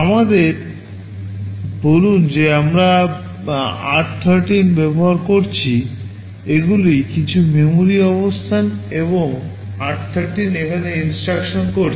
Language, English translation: Bengali, Let us say we are using r13, these are some memory locations and r13 is pointing here